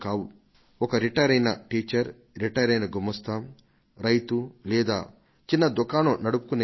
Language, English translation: Telugu, Among them are retired teachers, retired clerks, farmers, small shopkeepers